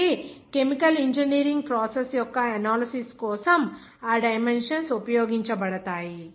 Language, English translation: Telugu, So all those dimensions will be used for certain process analyses of the chemical engineering process